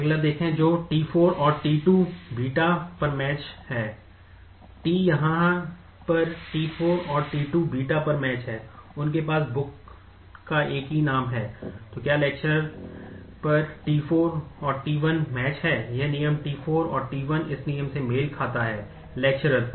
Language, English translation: Hindi, Look at the next one which is t 4 and t 2 match on beta, t 4 and t 2 match on beta yes, they have the same name of the book, and whether t 4 and t 1 match on the lecturer, this rule t 4 and t 1 match on the lecturer this rule